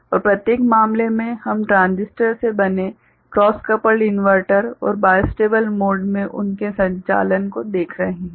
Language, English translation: Hindi, And in each case we are looking at cross coupled inverters made up of transistors and their operating in bistable mode